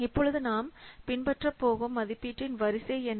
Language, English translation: Tamil, Now let's see what are the sequences of the estimations that we have to follow